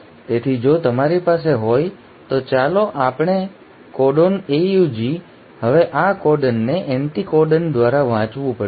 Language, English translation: Gujarati, So if you have, let us say a codon AUG; now this codon has to be read by the anticodon